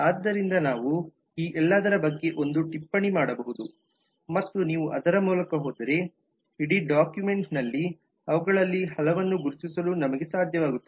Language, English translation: Kannada, so we can make a note of this all of this are of that kind and if you go through we will be able to identify many of them in the whole document